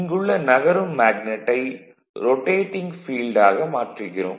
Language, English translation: Tamil, And the moving magnet is replaced by rotating field